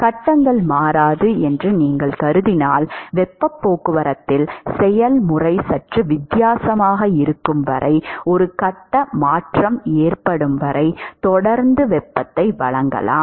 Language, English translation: Tamil, If you assume that phases do not change then in heat transport you can continue to supply heat till there is a phase change after that the process is slightly different